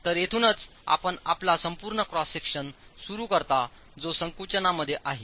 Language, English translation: Marathi, However, the entire cross section is in compression